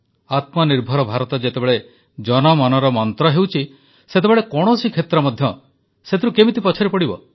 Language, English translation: Odia, At a time when Atmanirbhar Bharat is becoming a mantra of the people, how can any domain be left untouched by its influence